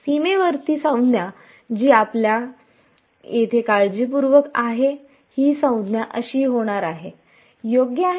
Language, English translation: Marathi, The boundary term which by our careful thing over here is going to be this term right